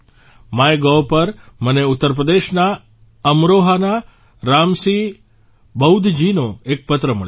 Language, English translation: Gujarati, On MyGov, I have received a letter from Ram Singh BaudhJi of Amroha in Uttar Pradesh